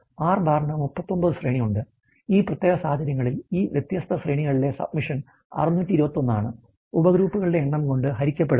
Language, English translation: Malayalam, And then the has the range bar has standard out to be 39, in this particular case it is the submission 621 of all these different ranges divided by the number of the subgroups